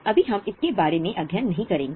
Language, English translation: Hindi, Of course, right now we will not go into it